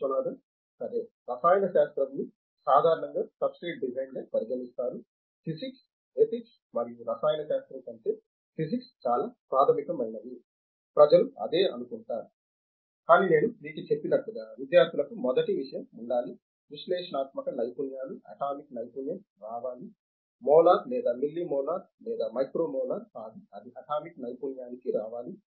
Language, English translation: Telugu, Okay Chemistry is generally considered as a substrate design, physics ethics and physics is more basic than chemistry like that is what if the people think, but as I told you, the students should have first thing is that he has analytical skills, have to come to atomic skill, not the molar or milli molar or micro molar it has to come to atomic skill